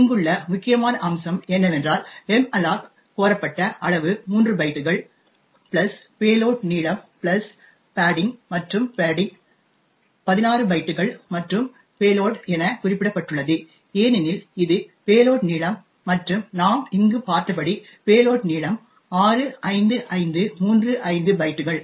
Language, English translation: Tamil, Note the critical aspect over here is that the size requested to malloc comprises of 3 bytes plus the payload length plus the padding and the padding is as specified 16 bytes and payload since it is the payload length and as we seen over here the payload length is 65535 bytes